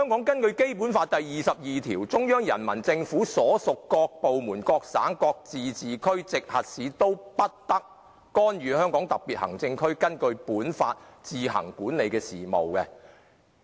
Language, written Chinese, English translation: Cantonese, 《基本法》第二十二條規定："中央人民政府所屬各部門、各省、自治區、直轄市均不得干預香港特別行政區根據本法自行管理的事務。, Article 22 of the Basic Law provides that [n]o department of the Central Peoples Government and no province autonomous region or municipality directly under the Central Government may interfere in the affairs which the Hong Kong Special Administrative Region administers on its own in accordance with this Law